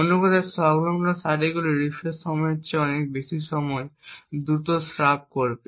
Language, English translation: Bengali, In other words the adjacent rows would actually discharge much more faster than the refresh period